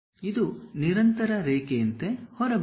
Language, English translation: Kannada, It comes out like a continuous line